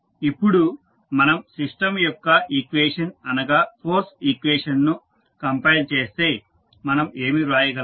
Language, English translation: Telugu, Now, if we compile the equation which is force equation of the system, what we can write